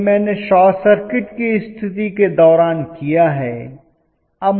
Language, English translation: Hindi, This is what I have done during short circuit condition